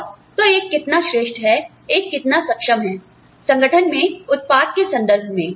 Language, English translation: Hindi, And, so, how meritorious one is, how capable one is, in terms of output within that organization